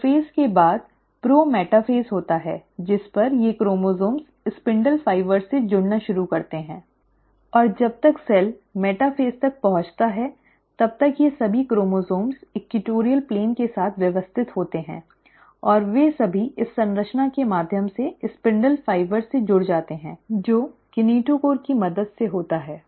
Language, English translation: Hindi, The prophase is followed by the prometaphase, at which, these chromosomes start attaching to the spindle fibres, and by the time the cell reaches the metaphase, all these chromosomes are arranged along the equatorial plane and they all are attached to the spindle fibre through this structure which is with the help of a kinetochore